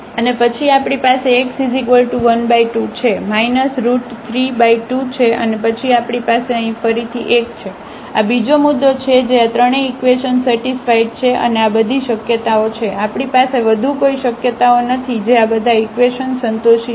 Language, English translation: Gujarati, And then we have x 1 by 2 we have minus 3 by 2 and then we have 1 again here, this is another point which satisfies all these 3 equations and these are all possibilities; we do not have any more possibilities which can satisfy all these equations